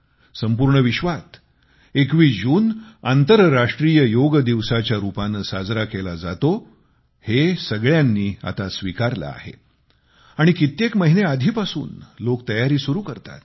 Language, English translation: Marathi, The 21stof June has been mandated and is celebrated as the International Yoga Day in the entire world and people start preparing for it months in advance